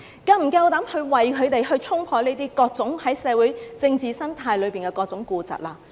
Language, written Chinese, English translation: Cantonese, 是否敢於為他們衝破各種在社會政治生態中的痼疾？, Do you have the courage to eradicate the various chronic diseases in the socio - political ecology for them?